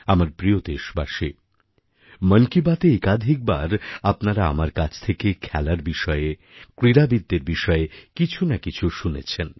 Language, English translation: Bengali, My dear countrymen, many a time in 'Mann Ki Baat', you must have heard me mention a thing or two about sports & sportspersons